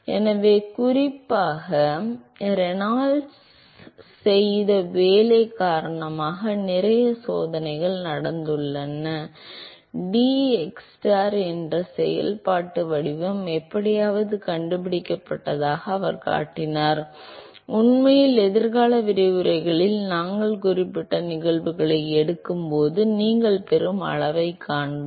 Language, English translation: Tamil, So, there have been lots of experiments particularly primarily due to work done by Reynolds; where he has shown that the functional form dxstar somehow it is found to be, in fact, we will see in the future lectures when we take specific cases we will see the kind of scaling that you will get